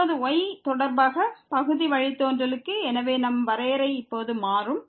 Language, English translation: Tamil, Now, for the partial derivative with respect to , so our definition will change now